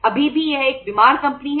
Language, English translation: Hindi, Still it is a sick company